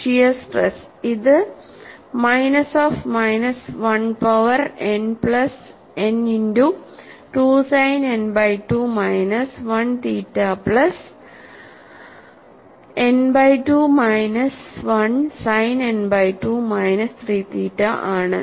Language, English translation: Malayalam, And for shear stress, it is minus of minus 1 power n plus n by 2 multiplied by sin n by 2 minus 1 theta plus n by 2 minus 1 sin n by 2 minus 3 theta